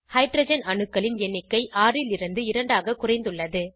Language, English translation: Tamil, Number of hydrogen atoms reduced from 6 to 2